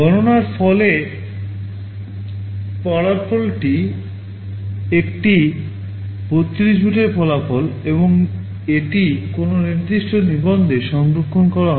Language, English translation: Bengali, The result after the calculation is also a 32 bit result and this will be stored in some particular register